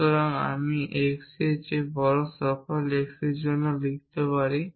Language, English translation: Bengali, So, I could write for all x greater than x e